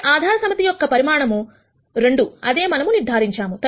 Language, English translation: Telugu, So, the basis set has size 2, is something that we have determined